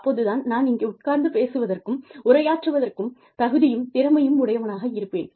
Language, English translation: Tamil, Only then will, I be qualified and competent enough, to sit here and talk